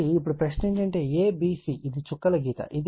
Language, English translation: Telugu, So, now question is that a b c this is a dash line